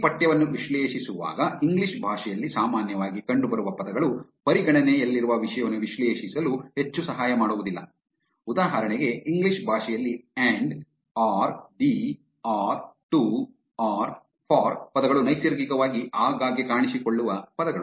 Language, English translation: Kannada, Now, while analyzing text, words that appear commonly in the English language are not of much help for analyzing the content that is under consideration, for example, words like and or the or to or for are words which appear very frequently in the English language naturally